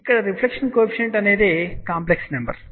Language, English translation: Telugu, Reflection Coefficient here is a complexed number